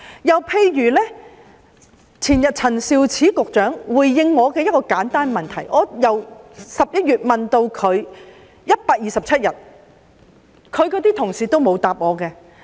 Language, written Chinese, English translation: Cantonese, 又例如陳肇始局長前天回應我一個簡單的問題，我由11月提出問題，至今已127天，她的同事也沒有回答我。, Another example is about the way Secretary Prof Sophia CHAN responded to a simple question I raised the day before yesterday . I first raised this question in November . It has been 127 days since then but none of her colleagues has answered my question